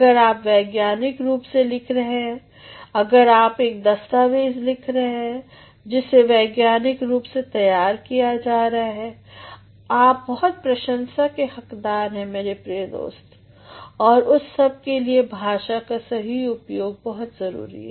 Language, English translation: Hindi, If you are writing scientifically if you are showing a document which has been ready scientifically, you bring a lot of admiration my dear friend, and for all that suitable use of language is very important